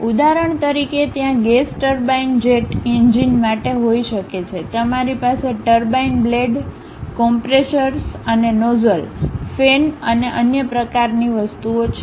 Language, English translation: Gujarati, For example, there is a gas turbine perhaps maybe for a jet engine, you might be having something like turbine blades, compressors and nozzles, fans and other kind of things are there